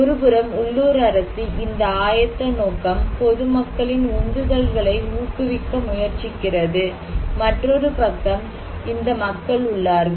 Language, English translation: Tamil, So, one this side is local government who is trying to promote these preparedness intention, motivations of the common people and other side is the local people